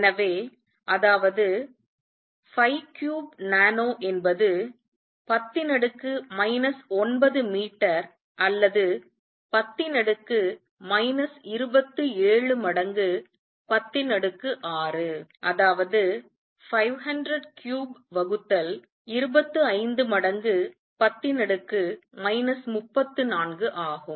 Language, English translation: Tamil, So, that is 5 cubed nano is 10 raise to minus 9 meters or 10 raise to minus 27 times 10 raise to 6 that is 500 cubed divided by 25 times 10 raise to minus 34